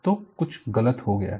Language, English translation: Hindi, So, something has gone wrong